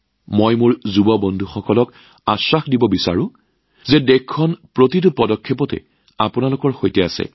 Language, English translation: Assamese, I want to assure my young friends that the country is with you at every step